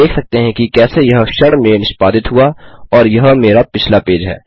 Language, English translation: Hindi, As you can see how it executes in a second and here is my previous page